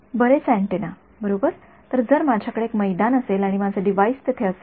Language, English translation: Marathi, Many antenna Many antennas right; so, if I have this is the ground and this is my device over here